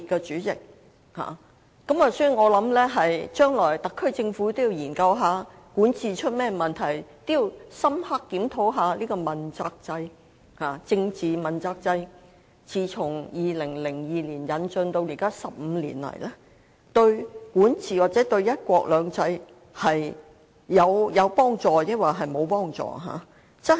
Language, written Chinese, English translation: Cantonese, 主席，我認為特區政府日後應研究管治出了甚麼問題，深刻檢討政治問責制自2002年引進至今15年來，對管治或"一國兩制"有否幫助。, President I think in future the SAR Government should look into what has gone wrong with governance and conduct an in - depth review to see whether the political accountability system has been beneficial to governance or one country two systems over the past 15 years since its introduction in 2002